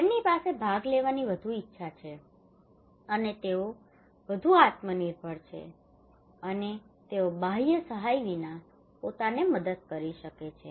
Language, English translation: Gujarati, They have more willingness to participate, and they are more self reliant, and they can do by themselves without external help